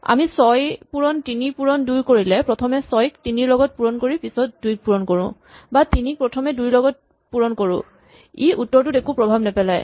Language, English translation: Assamese, If we do 6 times 3 times 2, it does not matter whether you do 6 times 3 first, or 3 times 2 first finally, the product is going to be the same